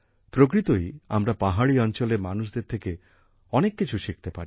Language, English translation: Bengali, Indeed, we can learn a lot from the lives of the people living in the hills